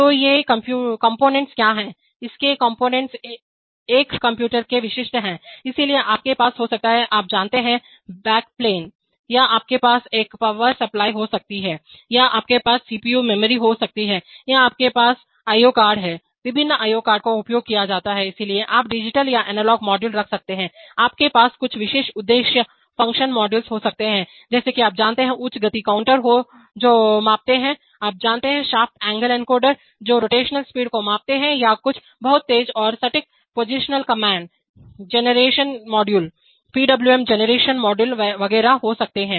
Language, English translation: Hindi, So what are these components, its components are typical of a computer, so you can have, you know the sort of, you know, the backplane or you can have a power supply or you can have CPU memory or you have IO cards, various kinds of IO cards are used, so you can, you can have digital or analog modules, you can have some special purpose function modules like, you know, high speed counters which measure, you know, shaft angle encoder, which measure rotational speeds or certain very fast and precise positioning commands, can be generation modules, PWM generation modules etcetera